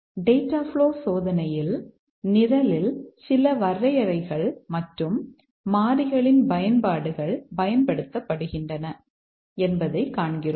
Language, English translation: Tamil, In data flow testing, we see that whether in the program certain definitions and uses of variables are exercised